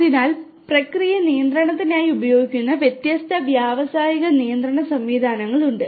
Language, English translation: Malayalam, So, there are different industrial control systems that are used for process control